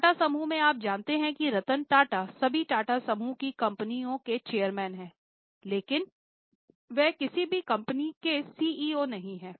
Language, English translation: Hindi, In Tata Group, you know Rattan Tata is chairman of all Tata group companies but is not CEO of any company